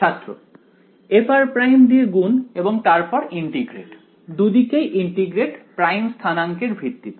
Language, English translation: Bengali, Multiplied by f of r prime and then integrate; integrate both sides right with respect to prime coordinates right